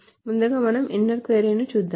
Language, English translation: Telugu, So first of all, let us look at the inner query